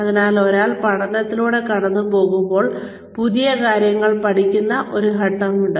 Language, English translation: Malayalam, So, when one is going through training, there is a phase in which, one learns new things